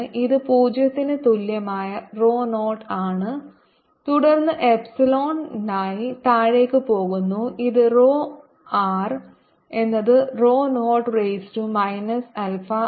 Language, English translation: Malayalam, so this charge density looks like this: it is rho zero at r, equal to zero, and then goes exponentially down, which is rho r equals rho naught e raise to minus alpha r